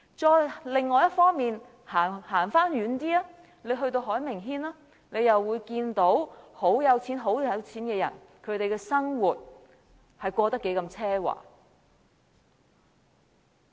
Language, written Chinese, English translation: Cantonese, 再往另一方走遠一點到海名軒，大家又會看到極富有的人的生活是過得何等奢華。, If we venture farther in the opposite direction we will reach the Harbourfront Landmark . Here we will see how luxurious the living style of the rich is